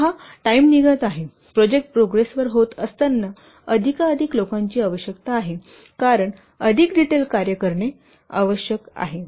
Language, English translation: Marathi, See, as the time is passing, at the project progresses, more number of people are required because what more detailed work is required